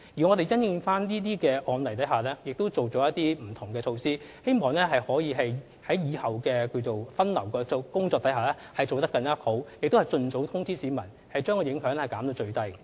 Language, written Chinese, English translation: Cantonese, 我們已因應這些案例提出不同改善措施，希望日後的分流工作可以做得更好，並且盡早通知市民，將影響減至最低。, We have proposed various enhancement measures in response to these cases so that in future we can improve our performance on traffic diversion and expeditiously inform the public to minimize the impact